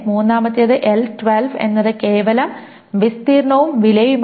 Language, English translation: Malayalam, And the third one is L12 is simply area and price